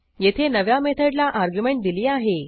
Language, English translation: Marathi, Here we have given an argument to the new method